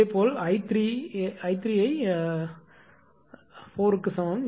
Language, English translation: Tamil, Similarly, i 3 is equal to small i 4